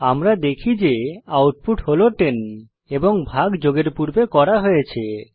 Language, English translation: Bengali, As we can see, the output is 10 and the division is done before addition